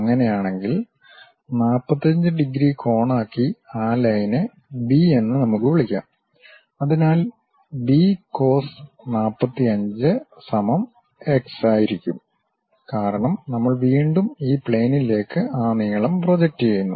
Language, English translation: Malayalam, Then in that case, let us call that line B making an angle of 45 degrees; so, B cos 45 is equal to again x; because we are again projecting that length onto this plane